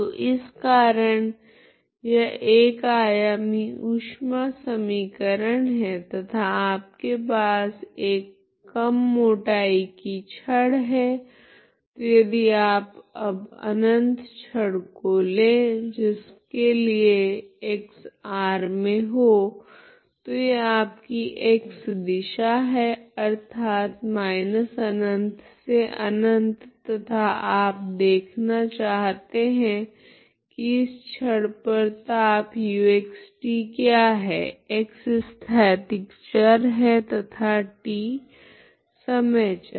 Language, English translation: Hindi, So that is why it is one dimensional heat equation you consider and you have a rod rod of small thickness so if you consider this this is a rod you can consider now infinite rod that is why x belongs to r so this is your x direction so x is one dimensional rod so that is minus infinity infinity that is the rod taking the position, okay and you want to see what is that temperature u at x, t so x is spatial variable and t is the time variable so you want to know what is the temperature across this rod